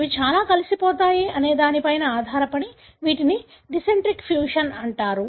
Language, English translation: Telugu, These are called as the dicentric fusions depending on how they fuse together